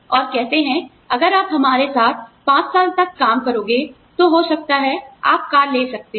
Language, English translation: Hindi, And, they say that, if you serve us for, maybe, five years, you can have the car